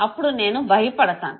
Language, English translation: Telugu, I would be scared of it